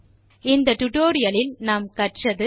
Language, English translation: Tamil, In this tutorial,we learnt to, 1